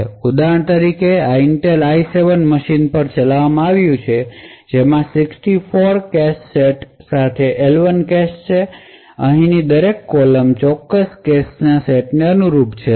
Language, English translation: Gujarati, So for example this was run on an Intel i7 machine which had an L1 cache with 64 cache sets, so each column over here corresponds to a particular cache set